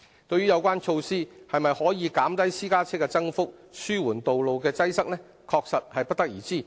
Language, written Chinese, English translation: Cantonese, 對於有關措施是否可以減低私家車的增幅、紓緩道路的擠塞，確實不得而知。, The effectiveness of the measure in suppressing the growth of the private car fleet and alleviating traffic congestion is indeed unknown